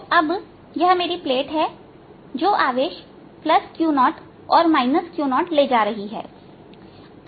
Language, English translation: Hindi, so these are my plates carrying charge plus q zero and minus q zero